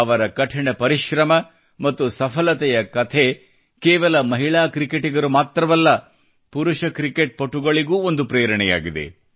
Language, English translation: Kannada, The story of her perseverance and success is an inspiration not just for women cricketers but for men cricketers too